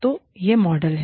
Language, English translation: Hindi, So, this is the model